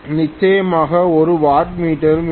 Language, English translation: Tamil, Of course I have to have a wattmeter also